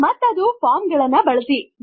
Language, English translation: Kannada, And that, is by using Forms